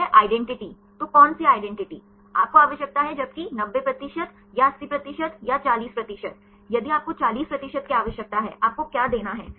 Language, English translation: Hindi, you require whereas, 90 percent or 80 percent or 40 percent; if you need 40 percent; what you have to give